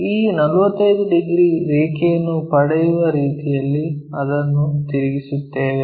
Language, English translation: Kannada, So, we rotate it in such a way that we will get this 45 degrees line